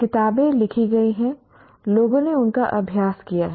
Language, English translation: Hindi, Books have been written, people have practiced them